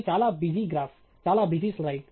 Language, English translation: Telugu, This is a very busy graph; a very busy slide